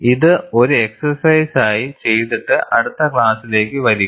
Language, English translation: Malayalam, Do this as an exercise and come to the next class